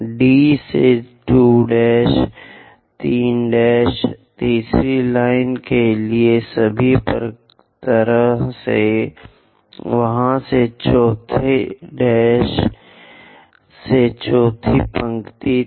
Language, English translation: Hindi, D to 2 prime; 3 prime, all the way to third line; from there, 4 prime all the way to fourth line